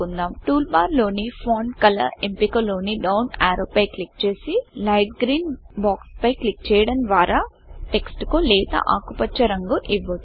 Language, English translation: Telugu, Now click on the down arrow in the Font Color option in the toolbar and then click on the light green box for applying the Light green colour to the the text